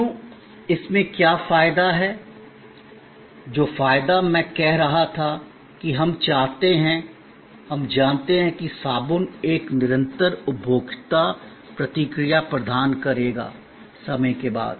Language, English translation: Hindi, Why, what is the advantage doing in that, the advantage that I was saying that, we want, we know that soap will provide a consistent consumer reaction, time after time